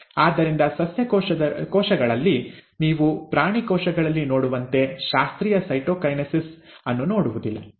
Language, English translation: Kannada, So in case of plant cells, you do not see the classical cytokinesis as you see in animal cells